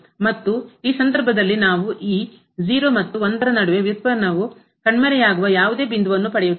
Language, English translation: Kannada, And, in this case we are not getting any point between this 0 and 1 where the function is taking over the derivative is vanishing